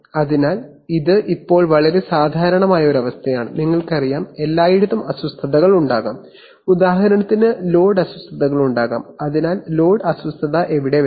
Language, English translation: Malayalam, So this is a very typical situation now in this situation, there can be, you know, there can be disturbances everywhere, for example there can be load disturbances so and where does the load disturbance come